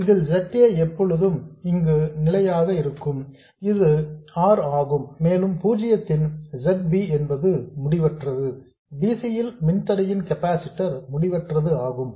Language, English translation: Tamil, So, in which case you see that basically ZA is always a constant here which is R and ZB of 0 is infinity, the impedance of a capacitor is infinity at DC